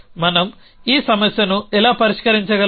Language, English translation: Telugu, So, how do we get around this problem